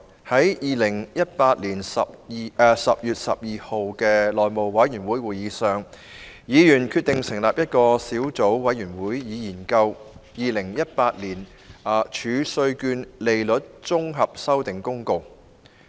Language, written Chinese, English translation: Cantonese, 在2018年10月12日的內務委員會會議上，議員決定成立一個小組委員會，以研究《2018年儲稅券公告》。, At the meeting of the House Committee on 12 October 2018 Members agreed to set up a Subcommittee to study the Tax Reserve Certificates Amendment Notice 2018